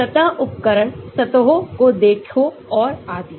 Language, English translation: Hindi, surface tools, look at the surfaces and so on